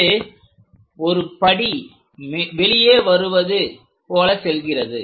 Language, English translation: Tamil, This one goes like a step comes out